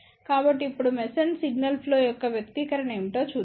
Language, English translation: Telugu, So, now, let us see what is the expression for Mason Signal Flow